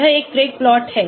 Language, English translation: Hindi, this is a Craig plot